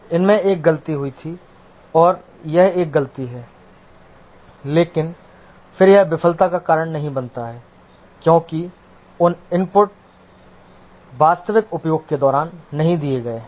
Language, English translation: Hindi, There was a mistake committed and that is a fault, but then that does not cause failure because those inputs are not given during the actual uses